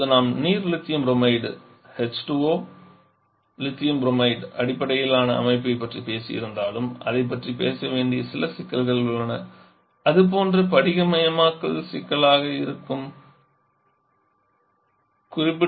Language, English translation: Tamil, Now though we have talked about water lithium bromide based system that has certain issues to be talked about like that can be crystallization problem